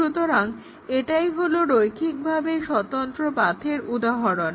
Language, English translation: Bengali, So, that is the definition of the linearly independent paths